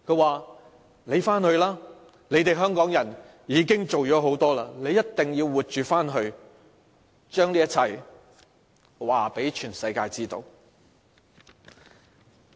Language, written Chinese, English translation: Cantonese, 他們說："你回去吧，你們香港人已經做了很多，你一定要活着回去，將這一切告訴全世界知道。, You Hongkongers have already done a lot . You must go back alive and tell the world everything . We have not let them down